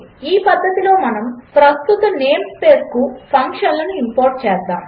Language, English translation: Telugu, In this method we actually imported the functions to the current name space